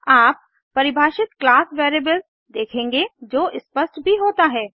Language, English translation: Hindi, You will notice the class variable you defined, also show up